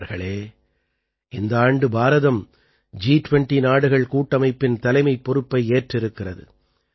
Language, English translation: Tamil, Friends, this year India has also got the responsibility of chairing the G20 group